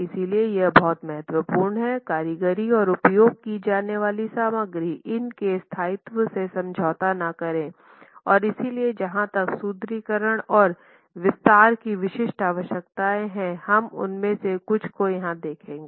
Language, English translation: Hindi, So, it's very important that the workmanship and the materials used do not compromise the durability of these systems and so there are specific requirements as far as reinforcement and detailing of reinforcement is concerned and we look at few of them here